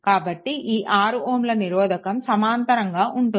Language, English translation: Telugu, So, this 6 ohm will be in parallel right